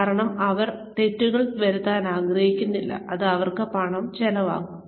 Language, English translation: Malayalam, Because, they do not want to make mistakes, that are going to cost them money